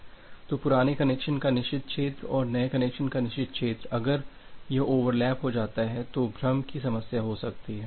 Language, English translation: Hindi, So, the forbidden region of the old connection and the forbidden region of the new connection, if that gets overlapped then there is a there may be a problem of confusion